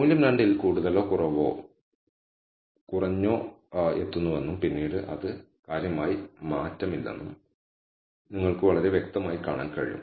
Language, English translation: Malayalam, You can see very clearly that the value reaches more or less or minimum at 2 and afterwards it does not significantly change